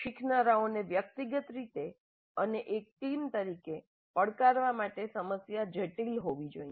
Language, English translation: Gujarati, The problem should be complex enough to challenge the learners individually and as a team